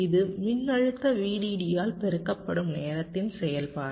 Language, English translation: Tamil, this is a function of time, t multiplied by the voltage v